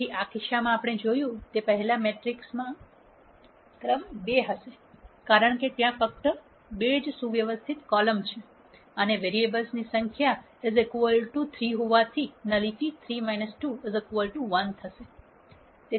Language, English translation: Gujarati, So, in this case as we saw before the rank of the matrix would be 2 because there are only two linearly independent columns and since the number of variables is equal to 3, nullity will be 3 minus 2 equal to 1